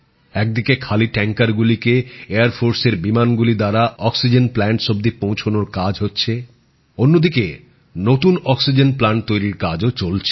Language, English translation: Bengali, On the one hand empty tankers are being flown to oxygen plants by Air Force planes, on the other, work on construction of new oxygen plants too is being completed